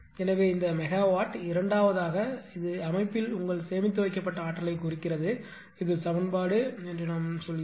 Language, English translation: Tamil, So, this product is you are megawatt second that we represent this is your stored energy in the system, this is say equation 7